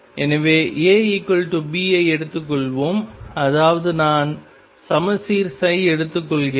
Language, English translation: Tamil, So, let us take A equals B that is I am taking symmetric psi